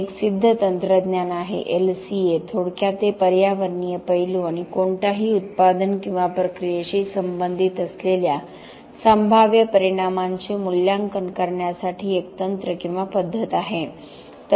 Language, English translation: Marathi, It is a proven technology LCA for short it is a technique or a methodology for assessing the environmental aspects and possible impacts that are coming out or related to any product or process